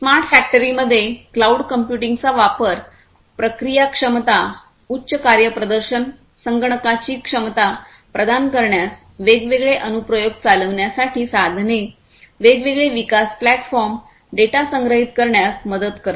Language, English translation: Marathi, So, use of cloud computing in smart factory helps in the processing capabilities, providing the capability of high performance computing, giving tools for running different applications, giving tools for different development platforms, giving tools for storing the data easily